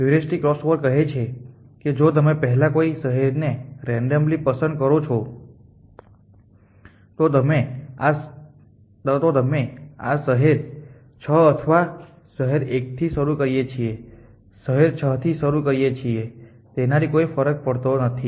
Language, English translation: Gujarati, And what the heuristic crossover says is at you first random a choose some city so let us say you started city 6 or city 1 lets a city 6 in another matter